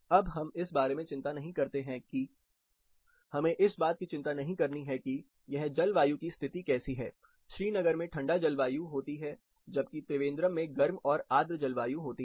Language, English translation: Hindi, Now, let us not worry about what climate condition it is, Srinagar has a colder climate versus Trivandrum has a warm and humid climate